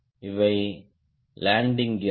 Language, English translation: Tamil, these are landing gears